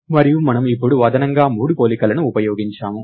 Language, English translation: Telugu, And we have now used 3, additional 3 comparisons